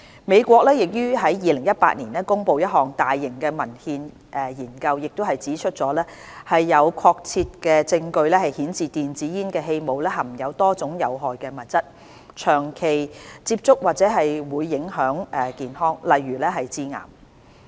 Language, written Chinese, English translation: Cantonese, 美國於2018年公布的一項大型文獻研究已指出有確切證據顯示電子煙的氣霧含有多種有害物質，長期接觸或會影響健康，例如致癌。, According to a large - scale systematic review published by the United States in 2018 there was conclusive evidence that many harmful substances such as carcinogens were contained in e - cigarette aerosol and long - term exposure to these substances could be harmful to health such as causing cancer